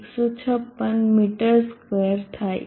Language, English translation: Gujarati, 15 6 meter square